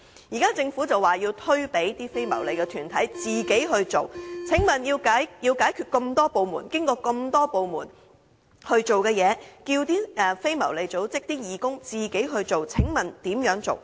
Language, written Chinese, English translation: Cantonese, 現在，政府表示要交由非牟利團體自己進行，過程中要眾多部門解決的問題，都要非牟利組織的義工自己解決。, Now the Government requires the non - profit - making organization concerned to take forward the matter on its own . In the process its volunteers must resolve on their own all problems which should be dealt with by various government departments